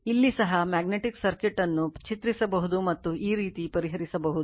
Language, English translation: Kannada, Here also we can draw the magnetic circuit, and we can solve like this right